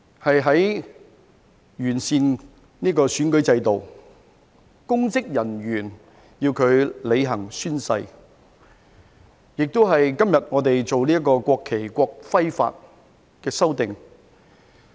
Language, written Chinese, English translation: Cantonese, 我們完善了選舉制度，公職人員要履行宣誓，今天我們亦進行了《國旗及國徽條例》的修訂。, We have improved the electoral system . Public officers are required to take an oath to swear allegiance . And today we are dealing with the amendments to the National Flag and National Emblem Ordinance